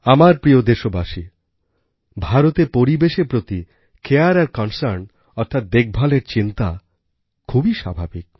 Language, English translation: Bengali, My dear countrymen, the concern and care for the environment in India seems natural